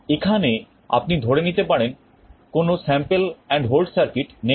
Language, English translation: Bengali, Here you may assume that there is no sample and hold circuit